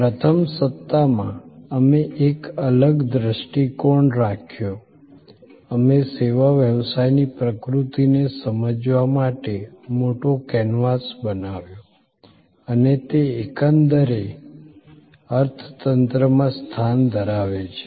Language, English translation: Gujarati, In the first week, we took a divergent view, we created the big canvas to understand the nature of the service business and it is position in the overall economy